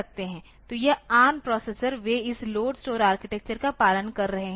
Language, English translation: Hindi, So, this ARM processor they are following this LOAD STORE architecture